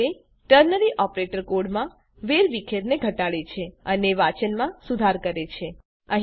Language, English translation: Gujarati, This way, ternary operator reduces clutter in the code and improves readability